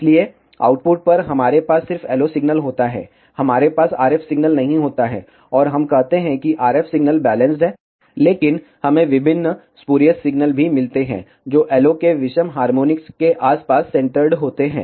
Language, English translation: Hindi, So, at the output, we have just the LO signal, we do not have the RF signal, and we say that the RF signal is balanced out, but we also get various spurious signals, which are centred around odd harmonics of the LO